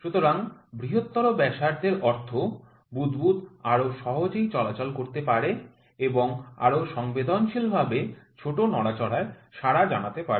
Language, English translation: Bengali, So, the larger is the radius, means the bubble can move more easily and reacts to the smaller movement sensitivity more sensitively